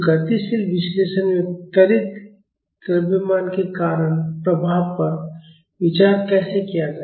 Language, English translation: Hindi, So, how will be consider the effect due to accelerating mass in the dynamic analysis